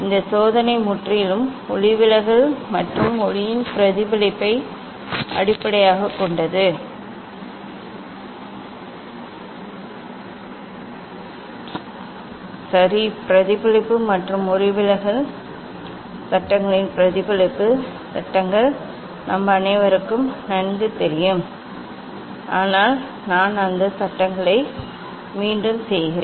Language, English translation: Tamil, these experiment is based on purely refraction and reflection of light, ok reflection and refraction laws of reflection laws of refraction are well known to all of us buts just I repeat those laws